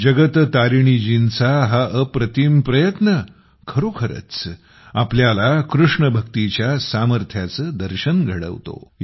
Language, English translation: Marathi, Indeed, this matchless endeavour on part of Jagat Tarini ji brings to the fore the power of KrishnaBhakti